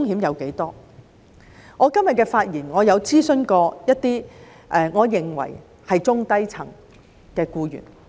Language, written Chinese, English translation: Cantonese, 為了今日的發言，我曾諮詢一些我認為是中低層的僱員。, When preparing for my speech today I consulted some employees whom I think are at the lower to middle levels